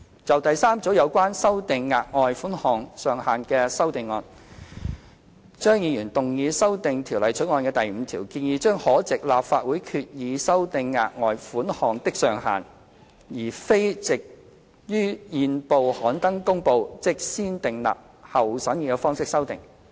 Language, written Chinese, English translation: Cantonese, 就第三組有關修訂額外款項上限的修正案，張議員動議修訂《條例草案》第5條，建議將可藉立法會決議修訂額外款項的上限，而非藉於憲報刊登公告，即"先訂立後審議"方式修訂。, The third group of amendment is on revising the ceiling for the further sum . Dr CHEUNG proposes to amend clause 5 of the Bill recommending that the ceiling of the further sum may be revised by resolution of the Legislative Council instead of by notice published in the Gazette ie . by negative vetting